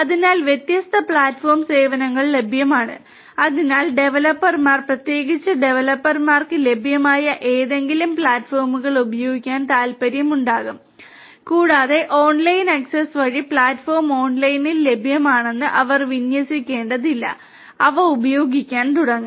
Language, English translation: Malayalam, So, there are different platform services are available and so people could you know the developers, particularly developers they could be interested in using any of those available platforms and they do not really have to deploy that platform everything is available online through online access and they could start using them